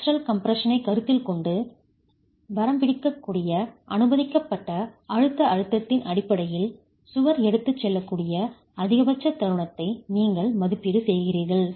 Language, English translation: Tamil, You make an estimate of the maximum moment that the wall can carry based on the limiting permissible compressive stress considering flexual compression